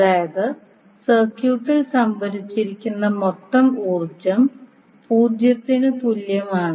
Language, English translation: Malayalam, That means the total energy stored in the circuit is equal to 0